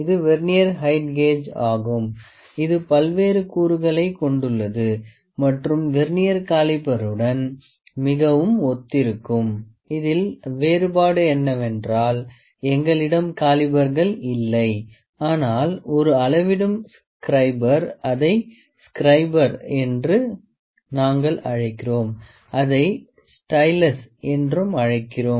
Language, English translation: Tamil, So, this is the Vernier height gauge which is having various components, which are very similar to the Vernier caliper all about the difference is that we do not have calipers here, but a measuring scriber we call it scriber, we call it stylus